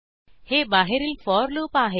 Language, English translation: Marathi, This is the outer for loop